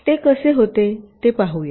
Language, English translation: Marathi, lets see how it happens